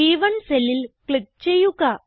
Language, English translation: Malayalam, Now, click on the empty cell B3